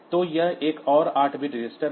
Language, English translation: Hindi, So, this is another 8 bit register